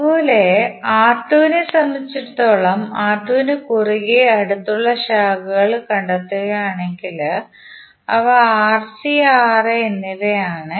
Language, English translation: Malayalam, Similarly for R2, if you see the adjacent branches across R2, those are Rc and Ra